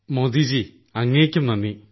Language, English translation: Malayalam, Thank you Modi ji to you too